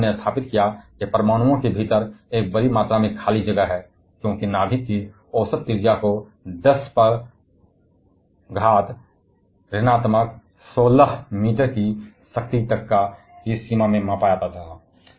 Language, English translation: Hindi, Their work established that inside the atoms there is a huge amount empty space, because the average radius of nucleus was measured to be in the range of 10 to the power minus 16 meter